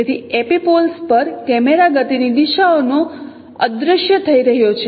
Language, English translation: Gujarati, So epipoles are also vanishing point of camera motion direction